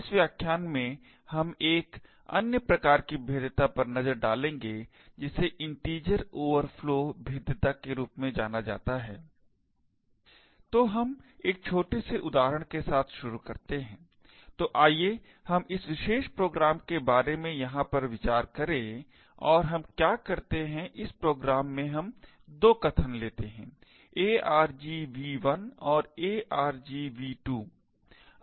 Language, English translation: Hindi, In this lecture we will look at another form of vulnerability known as Integer Overflow vulnerabilities, So, let us start with a small example, so let us consider this particular program over here and what we do in this program is take 2 arguments argv1 and argv2